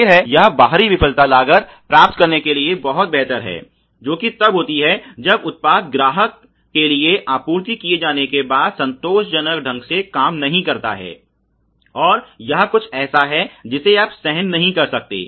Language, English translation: Hindi, Obviously, it is much better than getting an external failure costs which is when the product do not function satisfactorily after being supplied to the customer ok and this is something you cannot afford